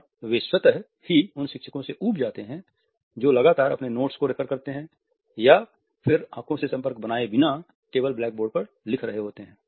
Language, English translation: Hindi, And they automatically are rather bored with those people who are referring to their notes continuously or simply writing on the blackboard without maintaining an eye contact